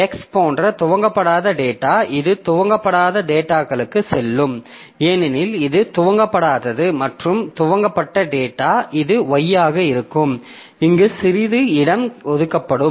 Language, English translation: Tamil, So, uninitialized data like X, it will go to uninitialized data because it is not initialized and the initialized data, so this will be, y will be assigned some space here